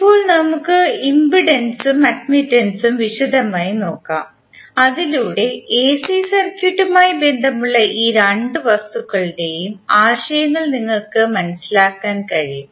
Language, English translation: Malayalam, Now let us look at impedance and admittance in detail so that you can understand the concepts of these two entities with relations to the AC circuit